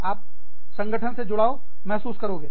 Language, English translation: Hindi, You will feel connected, to the organization